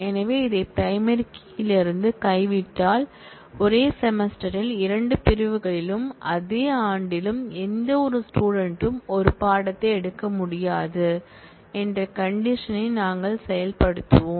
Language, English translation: Tamil, So, if we drop this from the primary key then we will enforce the condition that, no student will be able to take a course, in 2 sections in the same semester and the same year